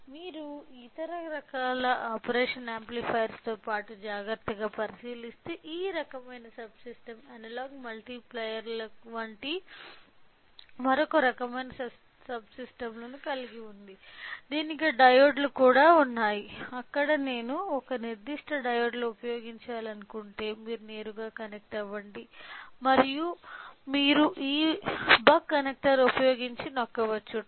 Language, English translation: Telugu, So, if you carefully look into that along with this other type of operational amplifier other type of subsystem this type of subsystem it also has other type of subsystems like analogue multipliers, it also has diodes where if I want to use a particular diodes we have an option where you can directly connect and you can tap by using this buck connectors